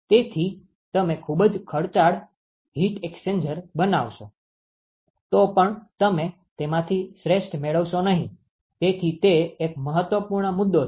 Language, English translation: Gujarati, So, you will end up making a very expensive heat exchanger, but you are just not getting the best out of it, so that is an important point